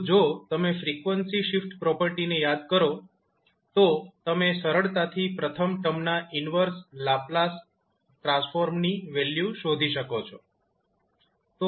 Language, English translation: Gujarati, So, if you recollect the frequency shift property, you can simply find out the value of inverse Laplace transform of first term